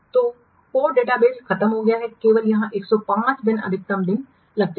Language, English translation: Hindi, So code database is over only it takes maximum date, 105 days